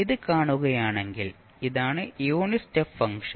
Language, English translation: Malayalam, So if you see this, this is the unit step function